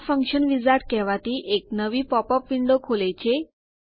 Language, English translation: Gujarati, This opens a new popup window called the Function wizard